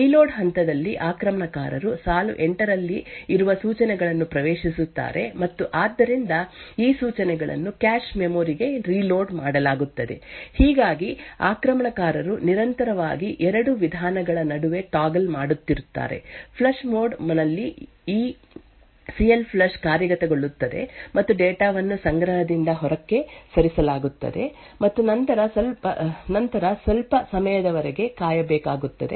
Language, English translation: Kannada, During the reload phase, the attacker would access the instructions present in line 8 and therefore, these instructions would then be reloaded into the cache memory thus what is happening is that the attacker is constantly toggling between 2 modes; flush mode where this CLFLUSH gets executed and data is moved out of the cache, then there is a wait for some time